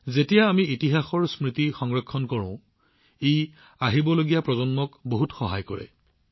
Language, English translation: Assamese, When we cherish the memories of history, it helps the coming generations a lot